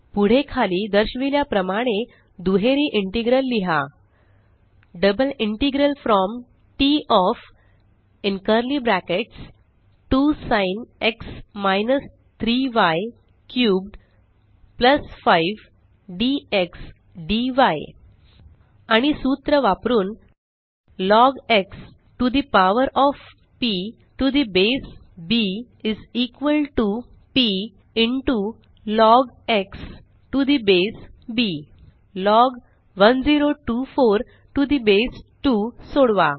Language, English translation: Marathi, Next, write a double integral as follows: Double integral from T of { 2 Sin x – 3 y cubed + 5 } dx dy And using the formula: log x to the power of p to the base b is equal to p into log x to the base b solve log 1024 to the base 2 Format your formulae